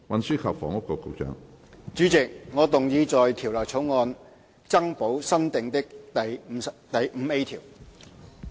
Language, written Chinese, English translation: Cantonese, 主席，我動議在條例草案增補新訂的第 5A 條。, Chairman I move that new clause 5A be added to the Bill